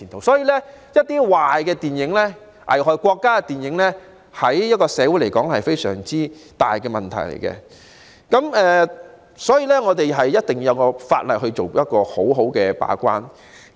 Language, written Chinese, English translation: Cantonese, 所以，具破壞力、危害國家的電影，對社會而言會構成非常嚴重的問題，必須透過法例做好把關工作。, Therefore movies of a destructive nature will endanger the country and pose a very serious problem to society and there is a need to perform a better gatekeeping job in this respect through the enactment of legislation